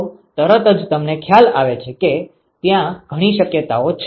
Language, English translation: Gujarati, So, this immediately you realize that there are several possibilities